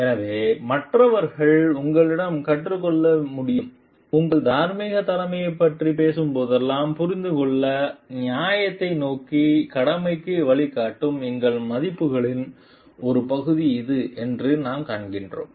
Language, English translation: Tamil, So, that others can learn from you, whenever you are talking of moral leadership we find it is a part of our values which guide an obligation towards fairness to understand